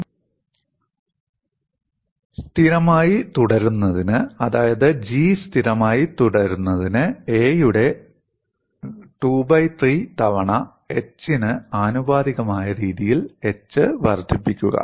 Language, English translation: Malayalam, What we should do is, for the expression to remains constant, that is G to remain constant, increase h in a fashion such that h is proportional to a power 2 by 3